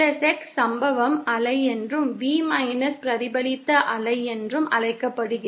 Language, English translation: Tamil, V+x is also known as the incident wave and V x as the reflected wave